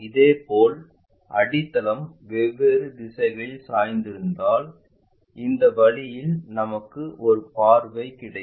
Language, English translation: Tamil, Similarly, if it is if the base is inclined at different directions, we will have a view in this way